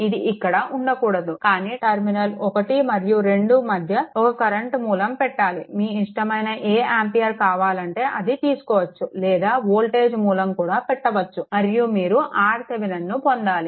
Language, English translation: Telugu, It should not be there, but it put across 1 and 2 either you current a current source, whatever ampere you want value and or a voltage source right and then you have to get R Thevenin